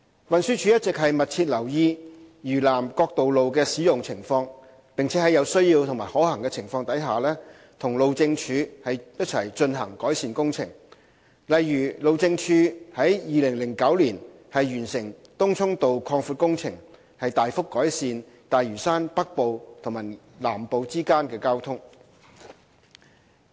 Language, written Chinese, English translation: Cantonese, 運輸署一直密切留意嶼南各道路的使用情況，並在有需要及可行時，和路政署進行改善工程，例如路政署於2009年完成東涌道擴闊工程，大幅改善大嶼山北部和南部之間的交通。, TD has been closely monitoring the use of roads on South Lantau . Where necessary and practicable TD will carry out appropriate improvement works in conjunction with HyD . In 2009 for example HyD completed the widening works for Tung Chung Road and has since significantly improved traffic flow between the north and south of Lantau